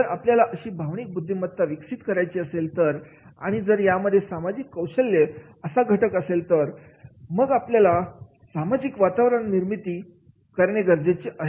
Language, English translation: Marathi, If we want to develop that emotional intelligence and when there is a social skill is the parameter, then we have to give that social environment